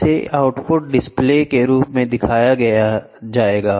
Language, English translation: Hindi, It will be shown as a output display whatever it is